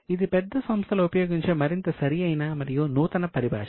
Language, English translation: Telugu, This is more refined and more latest terminology used in by the bigger companies